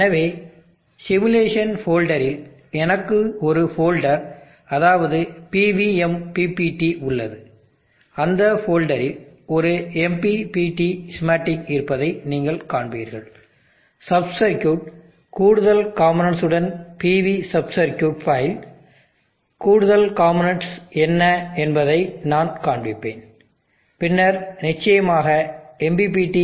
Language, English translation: Tamil, So in the simulation folder I have one folder call PV MPPT, within that folder you will see that there is a MPPT is schematic, the sub circuit PV sub circuit file with added components, I will show you what the added components are, and then of course the MPPT